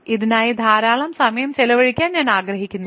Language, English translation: Malayalam, So, I have do not want to spend a lot of time on this